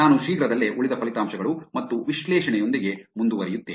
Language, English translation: Kannada, I will continue with the rest of the results and analysis soon